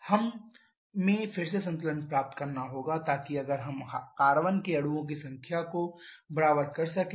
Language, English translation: Hindi, Then we have to get the balance again so if we equate the number of carbon molecules